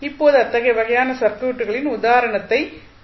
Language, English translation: Tamil, Now, let us see the example of such types of circuits